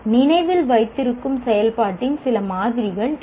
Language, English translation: Tamil, These are some samples of remember activity